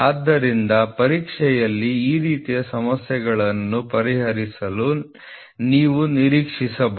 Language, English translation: Kannada, So, you can expect problems like this in the examination to be solved